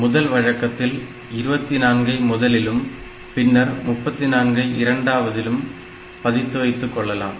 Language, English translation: Tamil, Now, in one convention, so we can put this 24 here and 34 here and in another convention I can store 34 here and 24 here